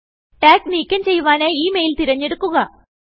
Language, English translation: Malayalam, To remove the tag, first select the mail